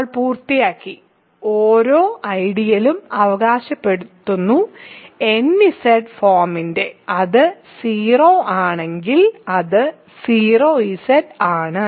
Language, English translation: Malayalam, So, we are done we have we are claiming that every ideal is of the form nZ, if it is simply 0 then it is 0Z